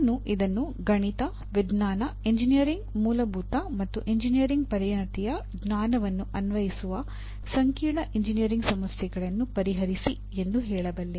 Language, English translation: Kannada, The statement says apply the knowledge of mathematics, science, engineering fundamentals and an engineering specialization to the solution of complex engineering problems